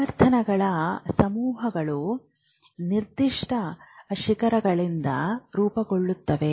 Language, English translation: Kannada, The frequencies cluster around specific peaks